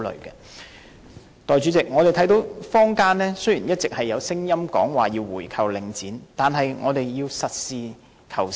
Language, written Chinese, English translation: Cantonese, 代理主席，雖然我們一直聽到坊間有聲音要求購回領展，但我們要實事求是。, Deputy President although we have all along heard voices in the community calling for a buy - back of Link REIT we have to be pragmatic